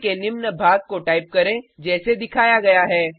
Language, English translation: Hindi, Type the following piece of code as shown